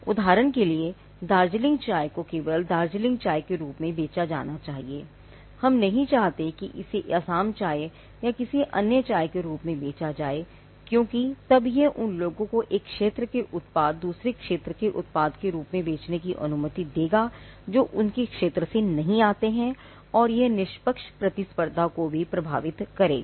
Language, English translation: Hindi, For instance, Darjeeling tea should only be sold as Darjeeling tea, we do not want that to be sold as Assam tea or any other tea, because then that will allow people who do not come from a particular territory to pass of a product as another one, and it would also affect fair competition